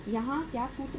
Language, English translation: Hindi, What is the formula here